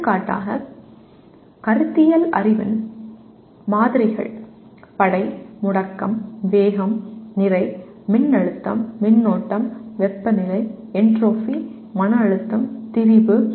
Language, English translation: Tamil, For example samples of conceptual knowledge Force, acceleration, velocity, mass, voltage, current, temperature, entropy, stress, strain